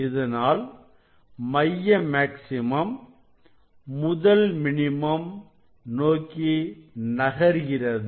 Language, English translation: Tamil, it is coming closer to the central maxima